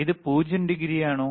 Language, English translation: Malayalam, iIs thisit 0 degree